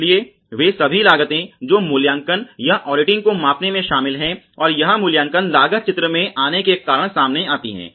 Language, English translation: Hindi, So, all those costs which are involved in measuring evaluating or auditing and this appraisal cost come into picture because of the prevention in the design itself ok